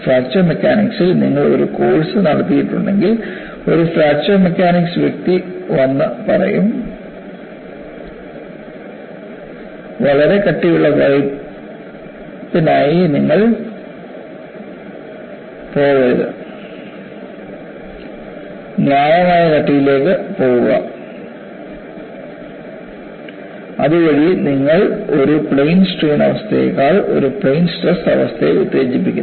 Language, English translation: Malayalam, And if you have done a course in fracture mechanics, which is what you are going to learn now, a fracture mechanics person will come and say, do not go for a very thick wall; go for a reasonable thickness, so that, you stimulate a plane stress condition rather than a plane strain condition